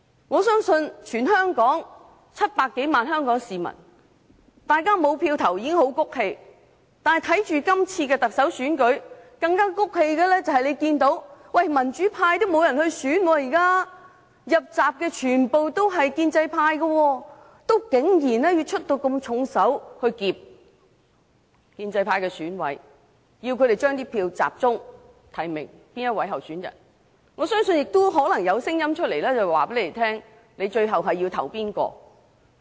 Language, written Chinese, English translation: Cantonese, 我相信全港700多萬名市民對不能投票已經很氣憤，更氣憤的是，大家看不到今次特首選舉有民主派人士參選，入閘的全屬建制派，但有人竟然要出重手脅迫建制派選委，要他們集中提名某候選人，我相信可能有聲音告訴他們最後要投票給誰。, I believe that the 7 million - odd people of Hong Kong are already aggrieved because they cannot elect the Chief Executive . Worse still they have noticed that no one from the pro - democracy camp has stood for the Election . The ones who have secured candidacy are all from the pro - establishment camp